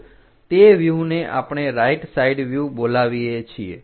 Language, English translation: Gujarati, So, that view what we are calling right side view